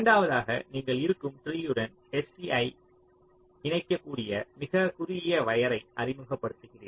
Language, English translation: Tamil, second one says: you introduce the shortest possible wire that can connect s, c to the existing tree